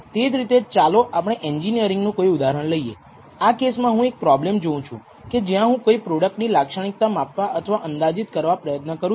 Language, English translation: Gujarati, So, similarly let us take an engineering example in this case I am looking at a problem where I am trying to measure or estimate the properties of a product, which cannot be measured directly by means of an instrument easily